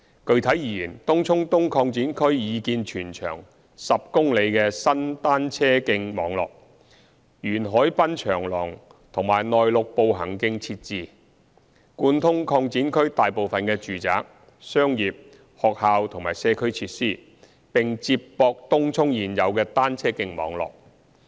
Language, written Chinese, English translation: Cantonese, 具體而言，東涌東擴展區擬建全長10公里的新單車徑網絡，沿海濱長廊和內陸步行徑設置，貫通擴展區大部分的住宅、商業、學校及社區設施，並接駁東涌現有的單車徑網絡。, Specifically the TCE extension area will provide a new cycle track network of about 10 km long along the waterfront promenade and inland pedestrian walkway . The network will connect most of the residential commercial educational and community facilities in the extension area as well as the existing cycle track network in Tung Chung